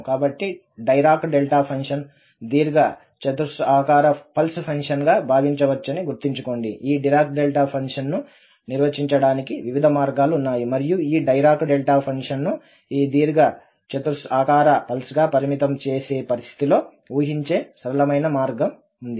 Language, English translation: Telugu, So, recall that the Dirac Delta function can be thought as, there are various ways to define this Dirac Delta function and the simplest way of imagining this, this Dirac Delta function as this rectangular pulse in the limiting situation